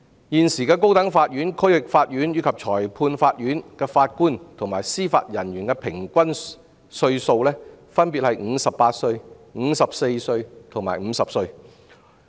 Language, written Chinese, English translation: Cantonese, 現時高等法院、區域法院及裁判法院的法官及司法人員的平均年齡分別為58歲、54歲及50歲。, At present serving JJOs of the High Court the District Court and the Magistrates Courts are on average 58 54 and 50 years old respectively